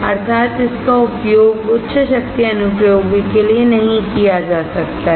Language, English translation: Hindi, it cannot be used for high power applications